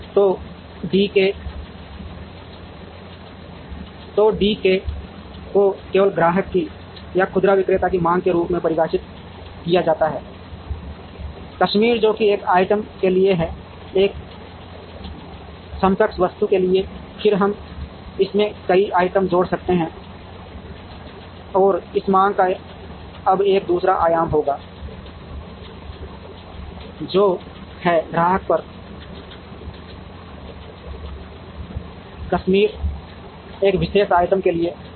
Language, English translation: Hindi, So, D k is defined only as demand at customer k or at retailer, k which is for a single item, for an equivalent item, then we can add number of items into it and this demand will now have a second dimension, which is at customer k, for a particular item l